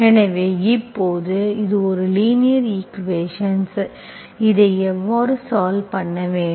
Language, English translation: Tamil, So now this is a linear equation, you know how to solve this